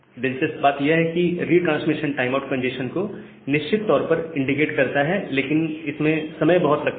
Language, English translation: Hindi, Now, interestingly this retransmission timeout RTO is a sure indication of congestion, but it is time consuming